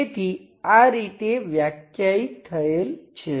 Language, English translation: Gujarati, So like that to define this